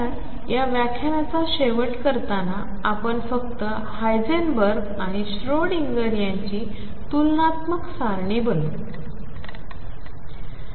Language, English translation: Marathi, So, to conclude this lecture let me just make a comparative table for Heisenberg and Schrödinger picture